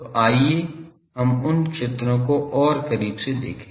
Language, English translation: Hindi, So, let us see those fields more closely